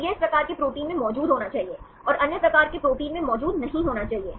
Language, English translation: Hindi, So, this should be present in this type of proteins, and should not be present in other type of proteins